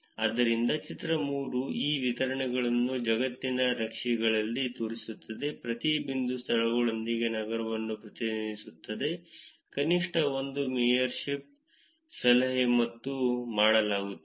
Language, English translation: Kannada, So, figure 3 shows these distributions in maps of the globe with each pointer representing a city with venues, with at least one mayorship tip and done